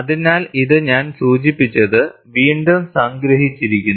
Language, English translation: Malayalam, So, this is what I had mentioned, which is summarized again